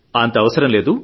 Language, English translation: Telugu, Not to worry